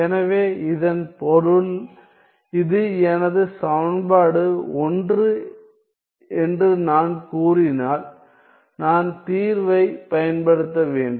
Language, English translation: Tamil, So, which means that if I were to let us say that this is my equation 1